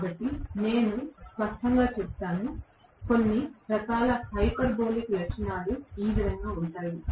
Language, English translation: Telugu, So, obviously I will have, you know, some kind of hyperbolic characteristics may be something which will be somewhat like this